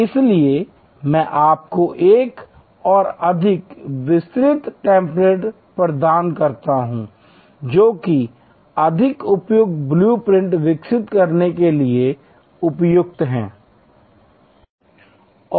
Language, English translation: Hindi, So, I provide you with another more detail template, which is suitable therefore, for developing a more complex blue print